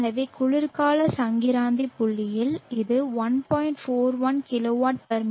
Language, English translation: Tamil, So at the winter sols sties point it is 1